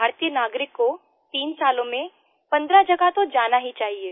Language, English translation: Hindi, Indian citizen should visit to 15 places in 3 years